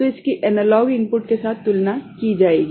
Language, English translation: Hindi, So, that will be compared with the analog input, that will be compared with the analog input